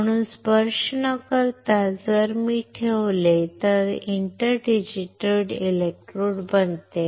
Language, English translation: Marathi, So, without touching if I put it becomes inter digitated electrodes